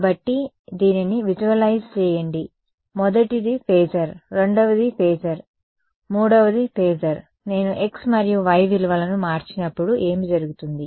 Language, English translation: Telugu, So, visualize this right the first is a phasor, second is a phasor, third is a phasor right, as I change the values of x and y what will happen